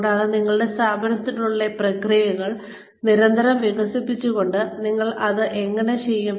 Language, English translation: Malayalam, And, how do you do that, by constantly developing the processes within your organization